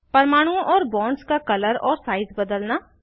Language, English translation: Hindi, Change the color of atoms and bonds